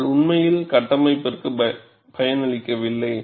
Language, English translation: Tamil, But it does not really benefited the structure